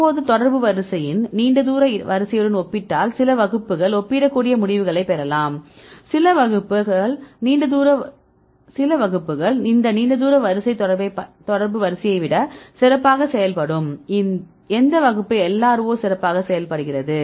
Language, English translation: Tamil, Now we compare with the contact order long range order, right, some classes you can get the comparable results, some classes this long range order will perform better than contact order which class LRO performs better